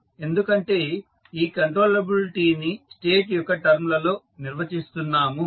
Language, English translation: Telugu, Because you are defining controllability in terms of state it is called as state controllability